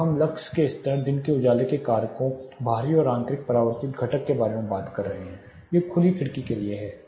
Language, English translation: Hindi, Now we have been talking about lux levels, daylight factors, external and internal reflected component, these are for open window